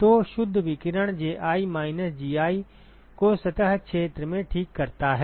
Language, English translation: Hindi, So the net radiation exchanges Ji minus Gi into the surface area ok